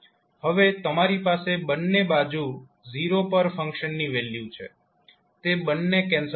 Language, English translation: Gujarati, Now you have value of function at zero at both sides, those both will cancel out